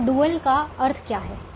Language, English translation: Hindi, now what does the dual tell me